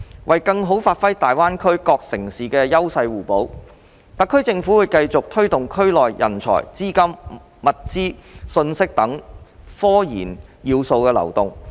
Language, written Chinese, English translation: Cantonese, 為更好發揮大灣區各城市的優勢互補，特區政府會繼續推動區內人才、資金、物資、信息等科研要素流動。, To better leverage the complementary advantages among different cities in GBA the SAR Government will continue to facilitate the flow of RD elements including talent capital goods and information in the area